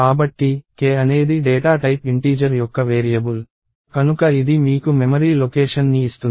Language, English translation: Telugu, So, k is a variable of data type integer, so it gives you a memory location